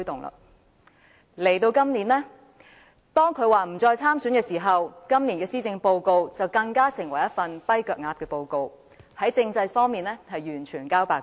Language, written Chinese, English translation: Cantonese, 今年，當他表示不再參選行政長官選舉後，今年的施政報告更成為一份"跛腳鴨"報告，在政制方面完全交白卷。, This year after he had announced that he would not run in the next Chief Executive Election his Policy Address this year even became a lame - duck report which made no mention of any measures regarding constitutional development